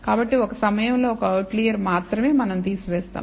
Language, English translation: Telugu, So, we do remove only one outlier at a time